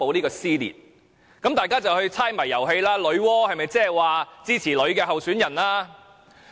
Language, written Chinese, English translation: Cantonese, 於是大家便開始猜謎遊戲，揣測女媧是否指支持女性候選人。, People thus start guessing if Nuwa implies his support for a female candidate